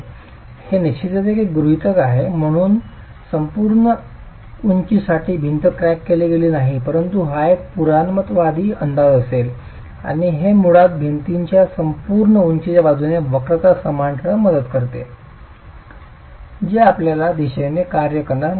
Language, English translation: Marathi, Of course the wall is not cracked for the full height, but this would be a conservative estimate and this basically helps us to keep the curvature same along the entire height of the wall